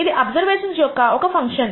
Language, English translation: Telugu, This is a function of the observations